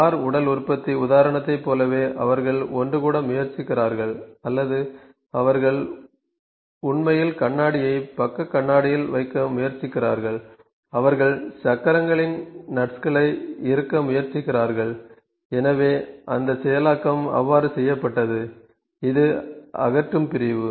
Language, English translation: Tamil, Like in the car body manufacturing example that we saw they were trying to assemble or they were actually trying to put the mirror on the side mirror, and the they were trying to tighten the nuts of the of the wheels; so those processing was being done so, this is dismantle section